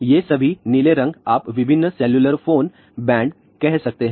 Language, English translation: Hindi, Now all these blue colors are various, you can say a cellular phone bands